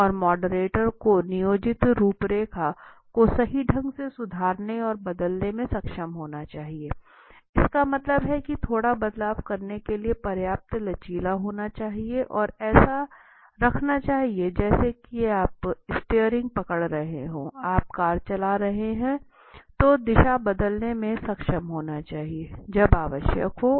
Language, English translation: Hindi, And the moderator must be able to improvise and alter the planned outline right, that means what if it is required, then you should be able to flexible enough to slightly change and keep the like as if you are holding the steering, you are driving the car, so you should be able to change the direction, as if and when required okay